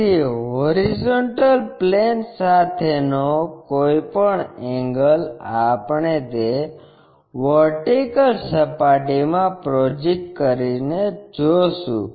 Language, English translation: Gujarati, So, any inclination angle with hp we will be seeing that by projecting onto that vertical plane